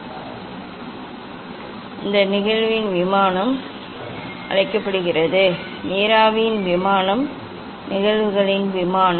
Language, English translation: Tamil, these the plane of incidence, it called plane of incidence is the in this case plane of vapour is the plane of incidence